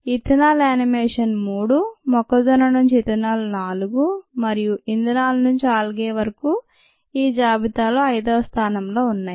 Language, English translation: Telugu, i think it is four, five ethanol animation is three, ethanol from con is four and algae to fuels is number five on this list